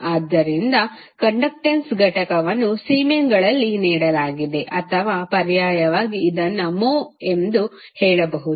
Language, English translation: Kannada, So, the unit of conductance is given in Siemens or alternatively you can say as mho